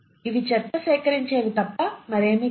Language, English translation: Telugu, These are nothing but the garbage collectors